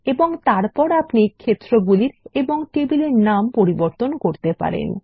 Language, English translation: Bengali, Here we can rename the fields and change their data types